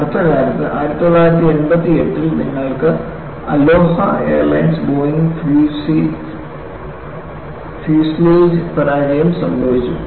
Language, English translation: Malayalam, And very recently, in 1988, you had Aloha Airlines Boeing fuselage failure